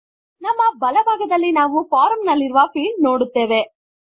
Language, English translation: Kannada, On the right hand side we see fields on the form